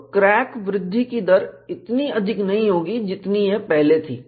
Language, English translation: Hindi, So, the rate of crack growth will not be as high as it was before